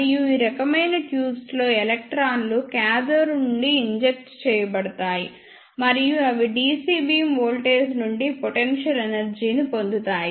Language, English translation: Telugu, And in these type of tubes electrons are injected from the cathode and they will get potential energy from the DC beam voltage